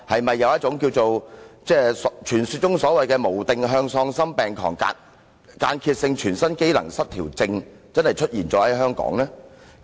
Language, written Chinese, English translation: Cantonese, 他是否患上傳說中的"無定向喪心病狂間歇性全身機能失調症"，這病是否真的在香港出現呢？, Is he suffering from the legendary disease called the disoriented frenzied intermittent overall physical dysfunction? . Is it true that the disease has appeared in Hong Kong?